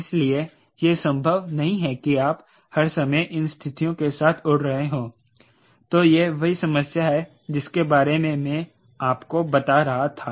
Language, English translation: Hindi, so its not possible that all the time you flying with this conditions that is where i was telling you the conflict comes